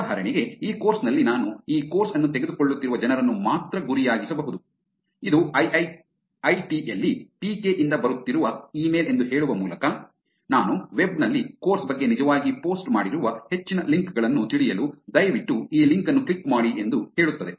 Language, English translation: Kannada, For example, in this course I could just target only the people who are taking this course saying as though it is email coming from PK at IIIT, saying please click on this link to know further links that I have actually posted on the web about the course